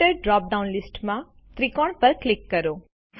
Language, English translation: Gujarati, In the Filter drop down list, click the triangle